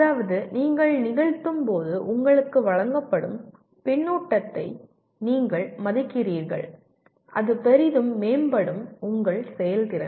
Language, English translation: Tamil, That means you value the feedback that is given to you when you are performing and that will greatly improve your performance